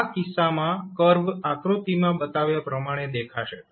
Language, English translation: Gujarati, So, in that case it will the curve will look like as shown in the figure